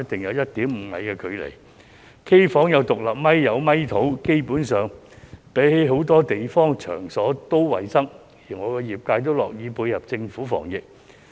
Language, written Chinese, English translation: Cantonese, 因此基本上，他們比很多其他場所也要衞生得多，業界亦樂意配合政府防疫。, So they are basically much more hygienic than many other places and the industry is willing to cooperate with the Government in epidemic prevention